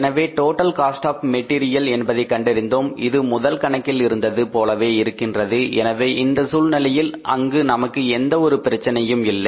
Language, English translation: Tamil, So, as we arrived at the total cost of the material because it was given in the first problem to us, so in that case there was no problem for us